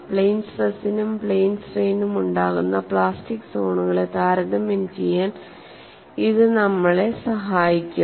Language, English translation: Malayalam, Nevertheless, this helps us to compare the relative plastic zone size in plane stress and plane strain